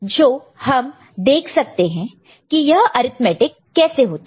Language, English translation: Hindi, So, let us see how the arithmetic is done